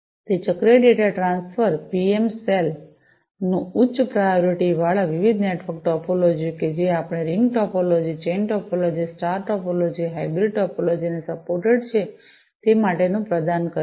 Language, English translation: Gujarati, It supports cyclic data transfer provides PM cell for packets with high priority, different network topologies that are supported our ring topology, chain topology, star topology, hybrid topologies